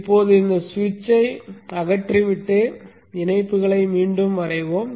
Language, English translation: Tamil, Now let us remove this switch and redraw the connections